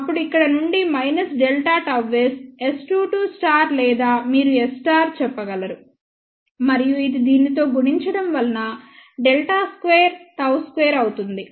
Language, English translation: Telugu, Then from here minus delta gamma s S 2 2 star or you can say S 2 2 conjugate and this multiplied by this will be delta square gamma s square